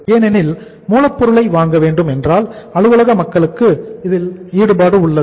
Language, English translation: Tamil, Because if the purchase of the raw material has to be there uh office people are also involved